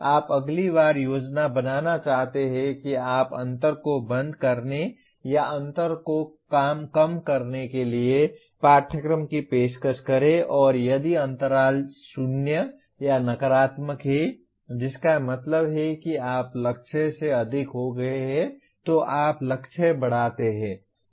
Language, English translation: Hindi, You want to plan next time you offer the course to close the gap or reduce the gap and if the gap is 0 or negative that means you have exceeded the target then you raise the target